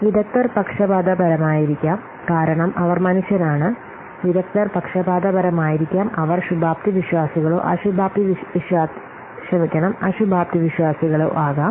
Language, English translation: Malayalam, Experts may be biased because after all they are human beings, experts may be biased, they may be optimistic or pessimistic, even though they have been decreased by the group consensus